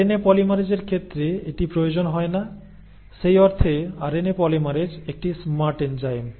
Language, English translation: Bengali, That is not required in case of RNA polymerases, in that sense RNA polymerase is a smarter enzyme